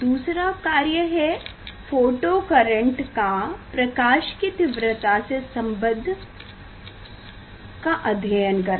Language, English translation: Hindi, second work is dependence of the photocurrent on the intensity of light